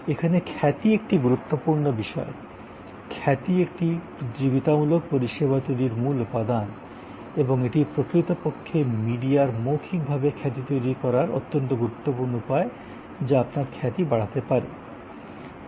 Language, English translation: Bengali, There reputation matters a lot that is a core element of building the service competitive service and they are actually the way to build reputation media word of mouth very impotent the whole process of building your reputations